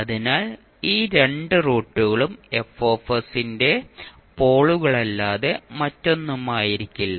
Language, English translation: Malayalam, So those two roots will be nothing but the poles of F s